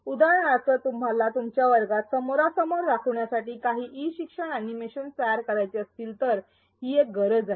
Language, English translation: Marathi, For example, you may want to create some e learning animations to supplement your face to face class so that is one need